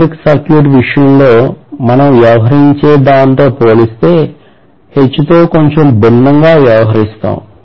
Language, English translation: Telugu, So we will probably deal with H a little differently as compared to what we deal with in the case of electric circuit